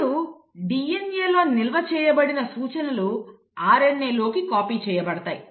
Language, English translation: Telugu, Now these instructions which are stored in DNA are then copied into RNA